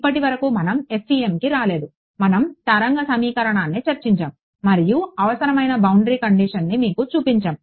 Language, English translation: Telugu, So far we have not come to the FEM we have just discussed the wave equation and shown you the boundary condition that is required right